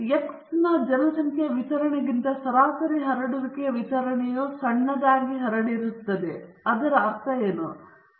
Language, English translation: Kannada, What it is telling us is the sampling distribution of the mean has a smaller spread than the population distribution of x